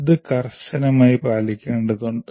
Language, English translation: Malayalam, And this will have to be strictly adhered to